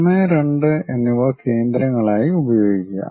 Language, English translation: Malayalam, Use 1 and 2 as centers